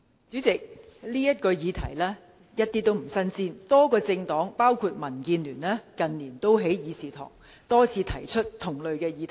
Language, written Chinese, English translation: Cantonese, 主席，這個議題一點也不新鮮，多個政黨近年也在議事堂多次提出同類議題。, President these days Members motions are mostly like a Christmas tree with many ornaments